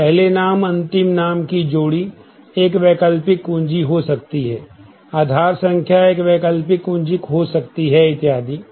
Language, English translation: Hindi, So, first name last name pair could be an alternate key Aaadhaar number could be an alternate key and so on